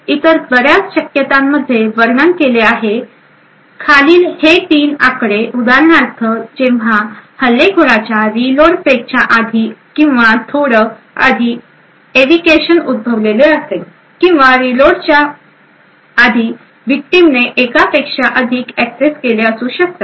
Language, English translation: Marathi, So there are many other possibilities which are depicted in these 3 figures below; for example, the eviction could occur exactly at that time when attacker’s reload phase is occurring or slightly before, or there could be also multiple accesses by the victim before the reload phase executes